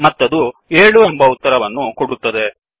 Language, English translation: Kannada, And it returns the value 7